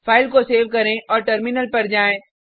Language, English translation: Hindi, Save the file and switch to terminal